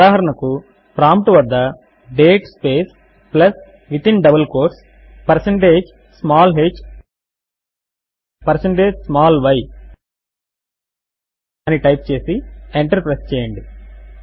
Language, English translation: Telugu, For example type at the prompt date space plus within double quotes percentage small h percentage small y and press enter